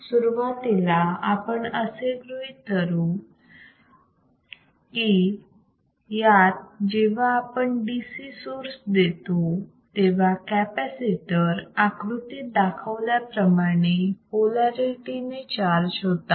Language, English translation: Marathi, So, initially, let us consider that the when we apply the DC source, the capacitor is charged with polarities as shown in figure